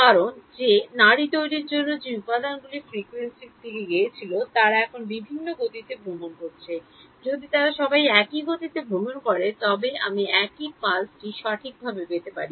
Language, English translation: Bengali, So, this may look something why, because the constituent frequencies that went up to make that pulse are travelling at different speeds now, if they all travel at the same speeds I would get the same pulse right